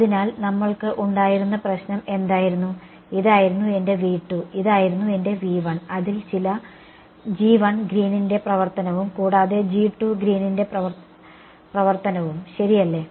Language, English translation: Malayalam, So, what was the problem that we had this was my V 2 and this was my V 1 right which had some g 1 Green’s function and g 2 Green’s function ok